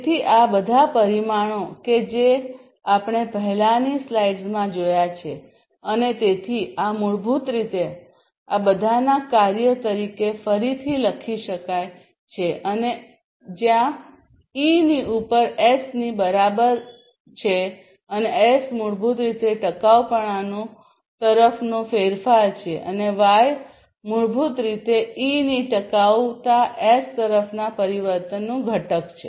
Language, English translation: Gujarati, So, all these parameters that we have seen in the previous slide and so, this basically can be again rewritten as a function of all these is and where I equal to S over E and S is basically the change towards the sustainability and Y is basically the exponent of the change towards sustainability S of E